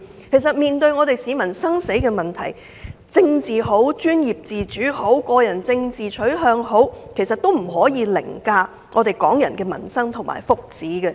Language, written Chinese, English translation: Cantonese, 其實，面對市民生死攸關的問題，無論是政治、專業自主、個人政治取向等，都不可以凌駕於港人的民生福祉。, All these reasons have led to the unresolved healthcare problems . In fact critical issues such as politics professional autonomy and individual political orientations should not override the livelihood well - being of Hong Kong people